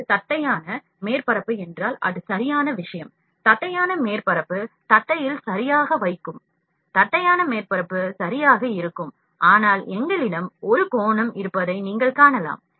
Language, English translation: Tamil, If this is flat surface it is the perfect thing, the flat surface it will deposit properly on the flat, the flat surface is exactly perfect, but you can see that we have an angle here